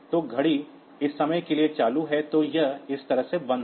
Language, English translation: Hindi, So, watch is on for this much time then it is off like this